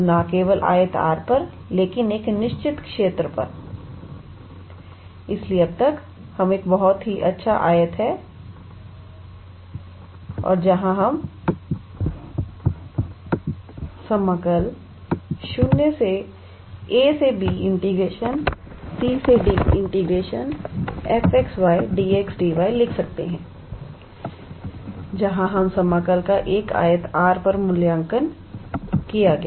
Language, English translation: Hindi, So, not only on the rectangle R, but on a certain region, so up until now, we had a very nice rectangle where we could write integral from a to b and integral from c to d f x y d x d y where the integral was evaluated on a rectangle R